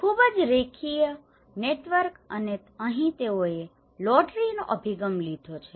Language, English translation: Gujarati, And a very linear networks and here they have taken a lottery approaches